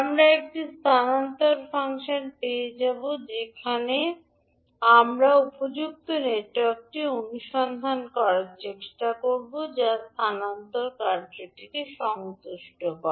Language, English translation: Bengali, We will get one transfer function and from that we try to find out the suitable network which satisfy the transfer function